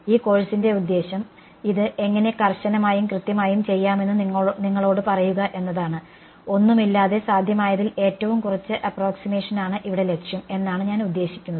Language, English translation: Malayalam, The point of this course is to tell you how to do it rigorously and exactly, without any without I mean with as little approximation is possible that is the objective over here ok